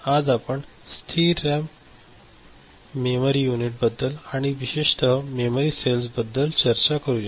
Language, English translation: Marathi, So, today we discuss this static RAM memory unit and more specifically the memory cells